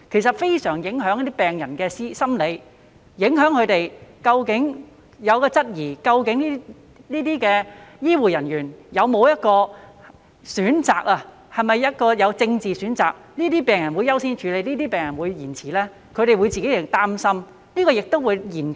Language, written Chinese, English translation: Cantonese, 此舉非常影響病人的心理狀況，令他們質疑究竟這些醫護人員會否因為政治立場而作出選擇，因而優先處理某些病人，延遲處理某些病人呢？, This would have a great impact on the psychological state of the patients making them query whether these healthcare staff would make a choice due to their political stance such that they would give priority to certain patients and delay the treatment of others?